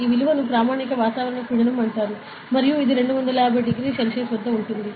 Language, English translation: Telugu, So, this value is called as standard atmospheric pressure and it is at 25 degree Celsius ok